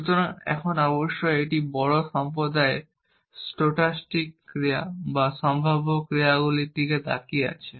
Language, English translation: Bengali, So, now a days of course, there is a big community looking at stochastic actions or probabilistic actions